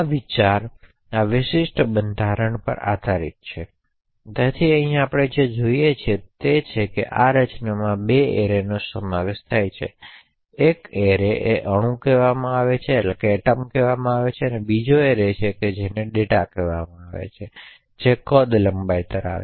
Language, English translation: Gujarati, So, the essential idea is based on this particular structure, so what we see over here is that this structure comprises of 2 arrays one is an array call atom and another array called data which is of size length